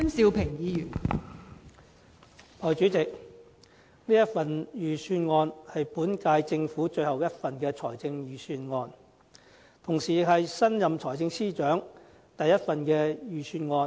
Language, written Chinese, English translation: Cantonese, 代理主席，這份財政預算案是本屆政府最後一份預算案，同時也是新任財政司司長的第一份預算案。, Deputy President this is the last Budget prepared by this Government and also the first one by the newly appointed Financial Secretary